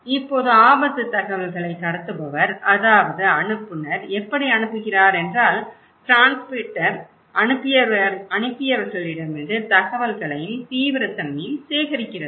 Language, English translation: Tamil, Now, the transmitter of risk information, that how the sender is that the transmitter is collecting the informations from the senders and the perceived seriousness of the risk okay